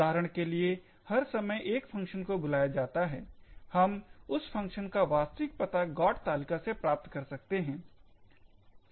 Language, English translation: Hindi, So, for example every time there is call to a function, we could get the actual address for that particular function from the GOT table